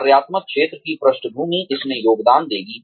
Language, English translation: Hindi, Functional area background will contribute to this